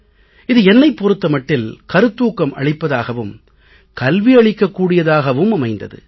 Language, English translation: Tamil, I can say that it was both inspiring and educative experience for me